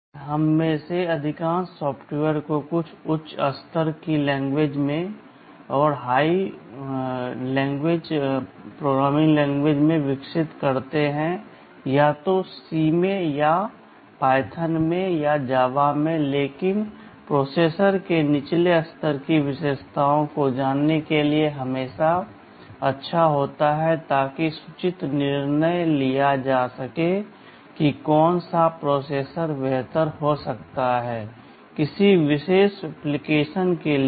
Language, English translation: Hindi, Today most of us develop the software in some high level language, either in C or in Python or in Java, but it is always good to know the lower level features of the processor in order to have an informed decision that which processor may be better for a particular application